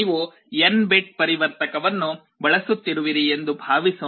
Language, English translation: Kannada, Suppose you are using an n bit converter